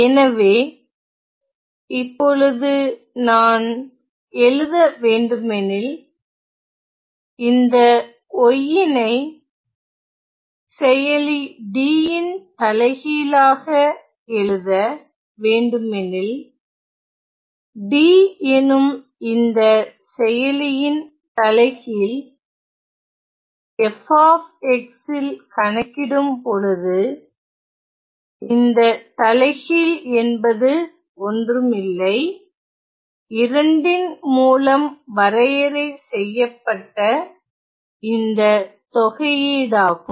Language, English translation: Tamil, So, which means that if I were to write; if I were to write my y to be the inversion of this operator D; inversion of this operator D of evaluated at f of x this inversion is going to be nothing, but the integral that is defined by 2 here